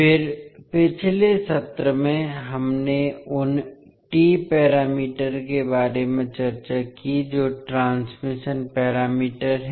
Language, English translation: Hindi, And then in the last session we discussed about the T parameters that is transmission parameters